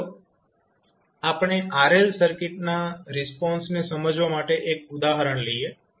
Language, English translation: Gujarati, Now, let us take 1 example to understand the response of RL circuit